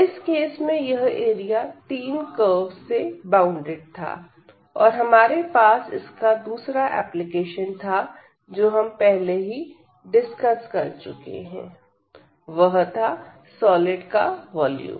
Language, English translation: Hindi, So, in this case it was enclosed by a 3 curves and we had another application which we have already discussed that is the volume of the solid